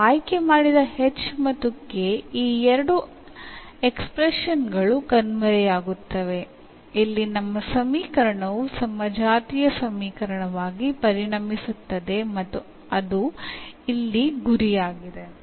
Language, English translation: Kannada, So, once our h and k we have chosen, so that these two expressions vanishes here our equation will become as the homogeneous equation and that is the that is the aim here